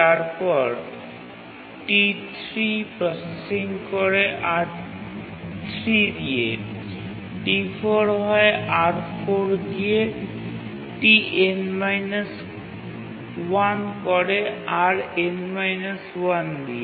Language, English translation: Bengali, T3 does processing with R3, T4, TN minus 1 with RN minus 1, and TN needs the resource RN